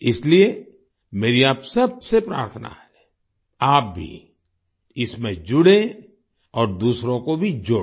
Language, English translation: Hindi, Therefore, I urge you to join this and add others too